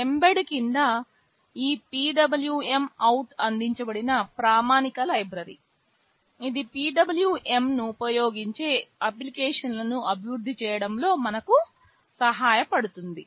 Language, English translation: Telugu, Under mbed this PWMOut is a standard library that is provided, it helps us in developing applications that use a PWM